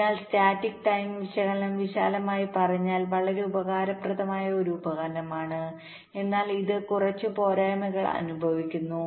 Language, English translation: Malayalam, so broadly speaking, the static timing analysis is a very useful tool, but it suffers from a couple of drawbacks